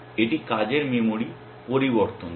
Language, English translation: Bengali, It changes the working memory